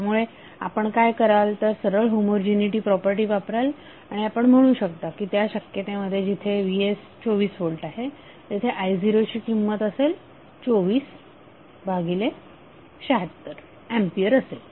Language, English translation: Marathi, So what you will do you will simply use the homogeneity property and you can say that the i0 in that case when Vs is 24 volt would be 24 by 76 ampere